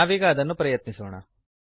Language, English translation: Kannada, Let us try it out